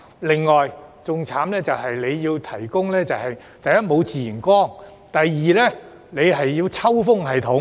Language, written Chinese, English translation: Cantonese, 另外，更慘的是，第一，沒有自然光；第二，要設置抽風系統。, And worse still there is firstly an absence of natural light and secondly a need to install ventilation systems